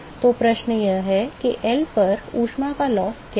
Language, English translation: Hindi, So, the question is, what is the heat loss over L